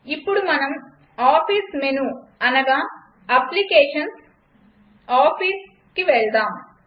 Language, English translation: Telugu, Now lets go to office menu i.e applications gtOffice